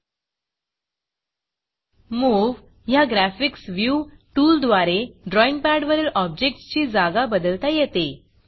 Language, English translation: Marathi, We can use the Move Graphics View tool and position the drawing pad objects